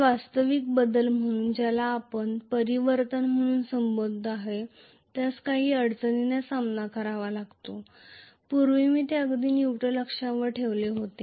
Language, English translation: Marathi, So, the actual current transfer which we call as commutation is going to face some trouble because of this, previously, I had them exactly on the neutral axis